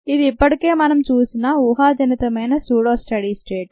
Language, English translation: Telugu, this is what we have already seen as the pseudo steady state assumption